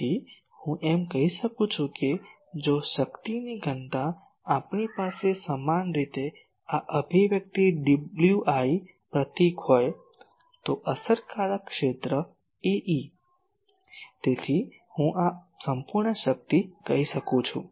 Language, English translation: Gujarati, So, I can say that if power density we generally have this expression W i symbol, effective area is A e so, this is I can say total power